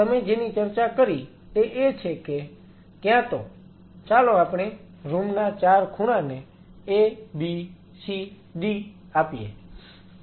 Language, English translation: Gujarati, So, what you talked about is that either in So, let us A B C D the 4 corners of a room